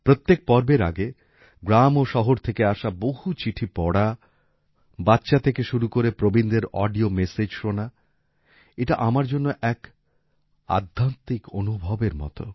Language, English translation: Bengali, Before every episode, reading letters from villages and cities, listening to audio messages from children to elders; it is like a spiritual experience for me